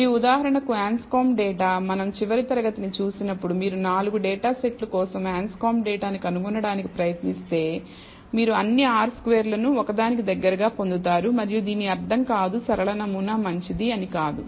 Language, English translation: Telugu, And the Anscombe data for example, when we saw last class, if you try to find the Anscombe data for the 4 datasets you will get all r squared close to one and that does not mean that the linear model is good